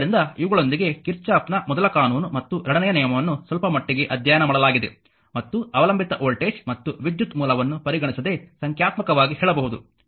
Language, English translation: Kannada, So, with these ah whatever little bit you have studied , Kirchhoff's ah first law and second law, and all this say numericals ah your your we can without considering the your ah dependent voltage and current source